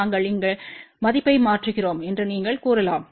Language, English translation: Tamil, You can say that we substitute the value over here